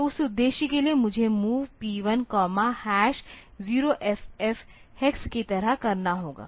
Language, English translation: Hindi, So, for that purpose I have to do like MOV P 1 comma hash 0 F F hex